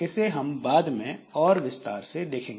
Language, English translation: Hindi, So, we'll see that in more detail later